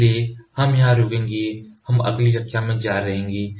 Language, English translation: Hindi, So, we would stop here we will continue in the next class